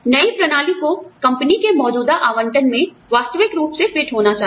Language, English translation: Hindi, New system should fit realistically, into the existing allocation of the company